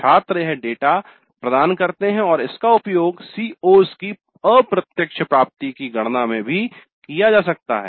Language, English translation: Hindi, The students provide this data and this can be used in computing indirect attainment of COs also